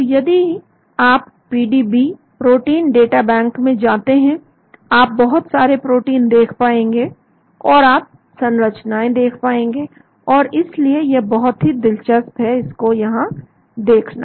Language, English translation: Hindi, So if you go to PDB, protein databank, you will be able to see lot of proteins and you will be able to see the structures , and so it is very interesting to have a look at this